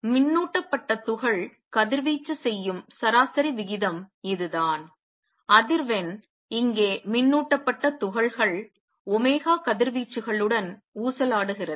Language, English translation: Tamil, This is the average rate at which a charge particle radiates the charge particle is oscillating with frequency omega radiates